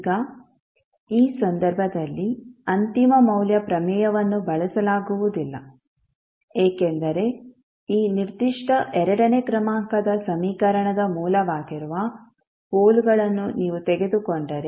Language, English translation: Kannada, Now the final value theorem cannot be used in this case because if you take the poles that is the roots of this particular second order equation